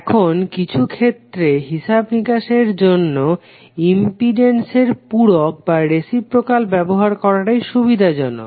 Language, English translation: Bengali, Now sometimes it is convenient to use reciprocal of impedances in calculation